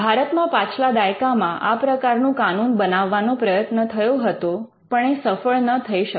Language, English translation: Gujarati, There was an attempt to pass a similar Act in the last decade, but that did not materialize in India